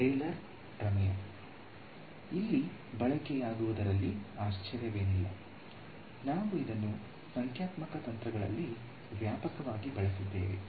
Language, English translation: Kannada, Not surprisingly the Taylor’s theorem comes of use over here, we have used this extensively in numerical techniques and what not right